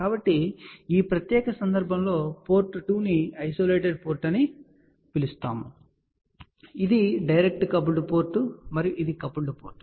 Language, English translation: Telugu, So, in this particular case port 2 is known as isolated port, this is direct coupled port and this is coupled port